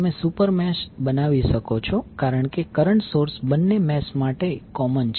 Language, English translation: Gujarati, You can create super mesh because the current source is common to both of the meshes